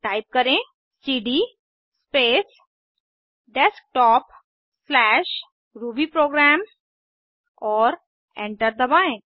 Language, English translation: Hindi, So lets type cd space Desktop/rubyprogram and press Enter